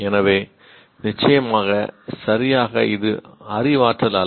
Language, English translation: Tamil, So obviously it is not exactly cognition